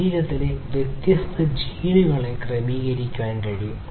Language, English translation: Malayalam, It is possible to sequence the different genes in the body